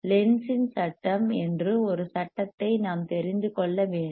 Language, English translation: Tamil, and wWe should know a law called Lenz’s law; Lenz’s law